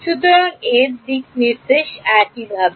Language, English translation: Bengali, So, the direction of this, is this way